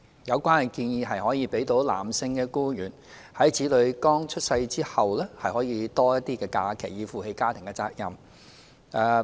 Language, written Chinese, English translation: Cantonese, 有關建議可讓男性僱員在子女剛出生前後有較多假期，以負起家庭責任。, The proposal will provide a male employee with more leave days immediately before and after the birth of his child so that he can take up his family responsibilities